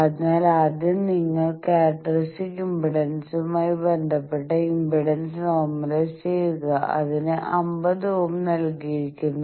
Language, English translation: Malayalam, So, first you normalize the impedance with respect to the characteristic impedance, it is given 50 ohm